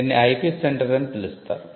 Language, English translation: Telugu, Now, what is an IP centre